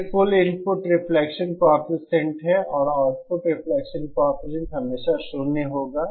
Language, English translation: Hindi, That is the total input reflection coefficient and output reflection coefficient will always be zero